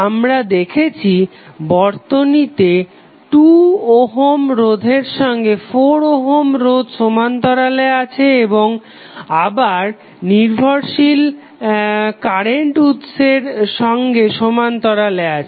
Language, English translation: Bengali, We just see that this circuit contains 2 ohm resistance in parallel with 4 ohm resistance so these two are in parallel and they in turn are in parallel with the dependent current source